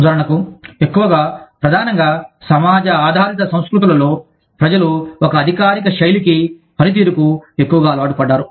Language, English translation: Telugu, For example, in mostly, primarily, community oriented cultures, people are more used to, a bureaucratic style of functioning